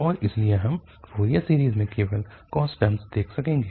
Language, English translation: Hindi, And therefore in the Fourier series we will see only the cos term